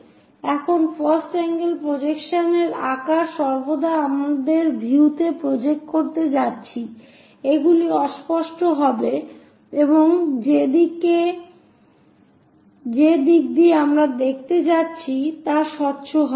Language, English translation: Bengali, Here, in the first angle projection size always be our the views on which we are going to project, those will be opaque and the direction through which we are going to see will be transparent